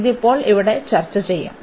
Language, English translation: Malayalam, So, that will be the discussion now here